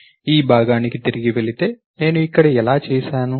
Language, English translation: Telugu, Going back to this part, how I have done over here